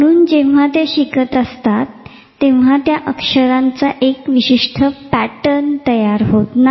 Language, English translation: Marathi, So, may be when they are learning the pattern of that spelling has not formed